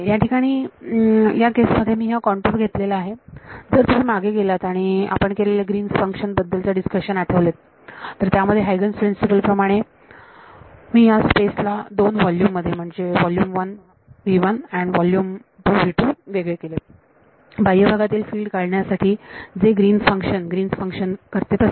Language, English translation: Marathi, So, in this case once since I have taken the contour to be if you go back and recall your discussion of the Green's function I divided space into 2 volumes v 1 and v 2 in Huygens principle for finding out the field in the outside region which Green's function do I need the outside region or the inside region